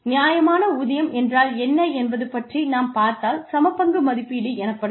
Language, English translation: Tamil, When we talk about fair pay, fair pay is equity is the assessment